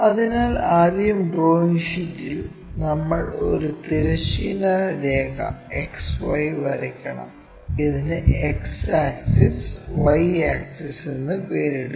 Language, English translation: Malayalam, So, on the drawing sheet first we have to draw a horizontal line XY; name this x axis, y axis